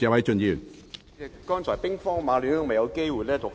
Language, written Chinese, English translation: Cantonese, 主席，剛才兵荒馬亂，我未有機會讀出內容。, President just now the situation was so chaotic that I did not have a chance to read out the contents